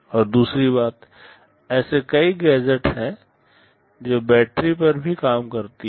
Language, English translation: Hindi, And secondly, there are many gadgets which also operate on battery